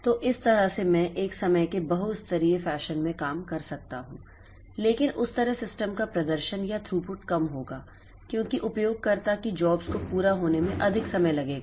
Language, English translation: Hindi, So, that way I can operate in a time multiplexed fashion but that way performance or the throughput of the system will be low because the user jobs will take more time for completion